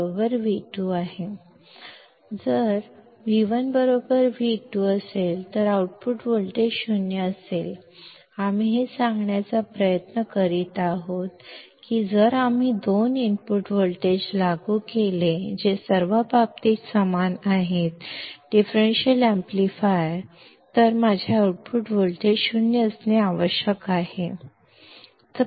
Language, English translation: Marathi, Because V1 equals to V2, the output voltage will be 0; this is what we are trying to say, that if we apply two input voltages, which are equal in all respects to the differential amplifier then my output voltage must be 0